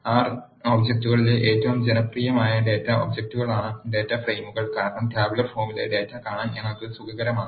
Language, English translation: Malayalam, Data frames are the most popular data objects in R programming because we are comfortable in seeing the data in the tabular form